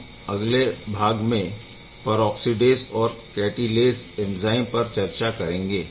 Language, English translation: Hindi, In the next part of today’s lecture we will discuss peroxidase and catalase ok